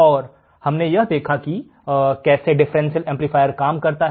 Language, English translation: Hindi, And we have also seen how the differential amplifier works